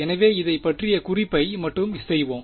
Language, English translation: Tamil, So, we will just make a note of this